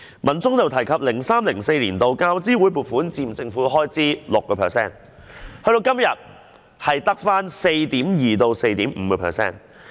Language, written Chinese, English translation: Cantonese, 文中又提及 ，2003-2004 年度教資會總撥款佔政府開支 6%， 時至今日，只得 4.2% 至 4.5%。, It was mentioned in the article that the total grants for the year 2003 - 2004 by UGC accounted for 6 % of total government expenditure . Up to the present day it only accounts for 4.2 % to 4.5 %